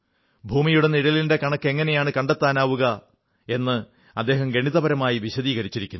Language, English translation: Malayalam, Mathematically, he has described how to calculate the size of the shadow of the earth